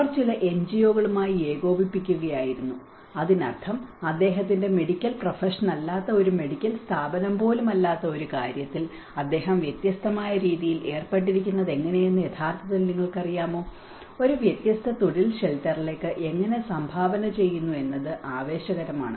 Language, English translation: Malayalam, So, they were coordinating with some NGOs, so which means even a medical body apart from his medical profession how he is engaged in a different manner has actually you know and one side it is exciting to see how a different profession is contributing to the shelter process